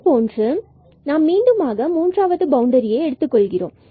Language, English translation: Tamil, Similarly, we have to do again this third boundary y is equal to 9 minus x